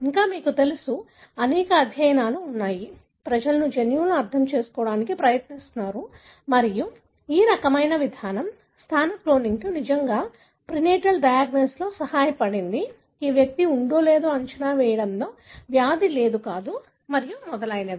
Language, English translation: Telugu, Still, you know, there are several studies, still people are trying to understand the gene and, and this kind of approach, positional cloning really helped in prenatal diagnosis and, and in expecting whether an individual, in predicting whether an individual would have the disease or not and so on